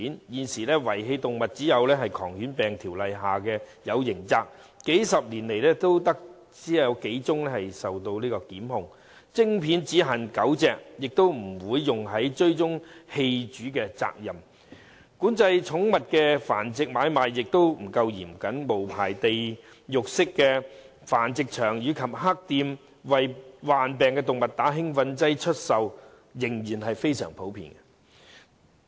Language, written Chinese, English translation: Cantonese, 現時遺棄動物只有在《狂犬病條例》下訂有刑責，但數十年來只有數宗檢控個案；植入晶片只限狗隻，亦不會用作追蹤棄主的責任；管制寵物繁殖買賣亦不夠嚴謹，無牌地獄式的繁殖場及"黑店"為患病動物注射興奮劑出售的情況仍然非常普遍。, At present criminal liability for abandoning animals is provided only in the Rabies Ordinance but only a few prosecutions have been instituted over the past decades . Microchips are implanted in dogs only and they are not used for tracing owners who have abandoned animals . Control on the breeding and selling of pets is not strict enough there are still many hellish unlicensed breeding facilities and unscrupulous shops still adopt the common practice of injecting sick pets with stimulants so that they can be put up for sale